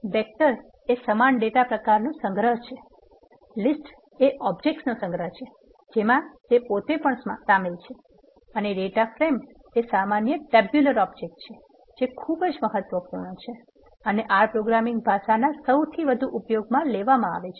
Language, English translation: Gujarati, A vector is an ordered collection of same data types, list is ordered collection of object themselves and data frame is a generic tabular object which is very important and the most widely used objects of R programming language